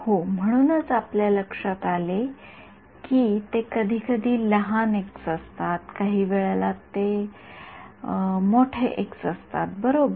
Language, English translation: Marathi, Yeah, that is why you notice that they sometimes it is small x, sometimes it is capital X right